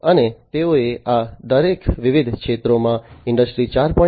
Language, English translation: Gujarati, And they have incorporated Industry 4